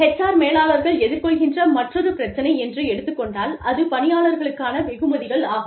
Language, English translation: Tamil, The other issue, that HR managers deal with, is employee rewards